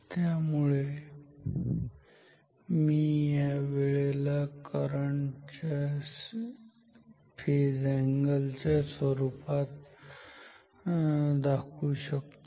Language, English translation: Marathi, So, I can write the time in terms of the phase angle of this current